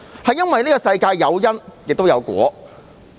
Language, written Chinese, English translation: Cantonese, 這個世界有因亦有果。, There is karma in this world